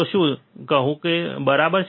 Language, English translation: Gujarati, So, what does it say, right